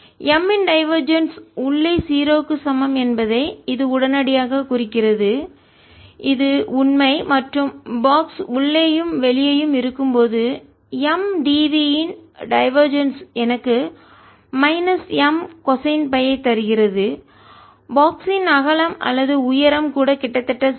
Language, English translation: Tamil, so this immediately implies that divergence of m is equal to zero for inside, which is true, and when the box is inside and outside, divergence of m d v gives me minus m cosine phi, even when the width or the height of the box is nearly zero